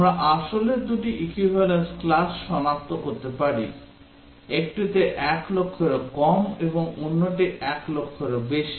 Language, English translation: Bengali, We can identify two equivalence classes of principal; one is less than 1 lakh and the other is more than 1 lakh